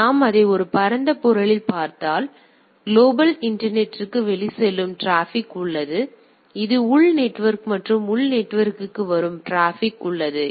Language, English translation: Tamil, So, if we look at in a broad sense; so there are outgoing traffic to the global internet and this is my internal network and there is a traffic which is coming to the internal network